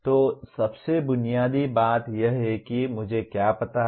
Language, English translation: Hindi, So the most fundamental thing is do I know what I know